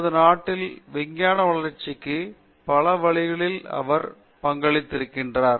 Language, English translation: Tamil, He has contributed in many many ways to the development of science in our country